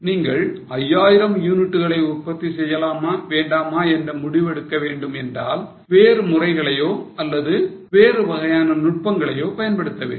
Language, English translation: Tamil, Suppose you want to decide whether to make 5,000 units or not then you will have to go for different methods or different types of techniques